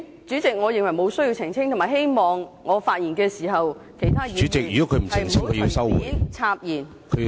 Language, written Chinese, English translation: Cantonese, 主席，我認為沒有需要澄清，而且希望我發言時，其他議員不要隨便插言。, President I do not see any need to do so and I hope that when I am speaking no Member will interrupt me at will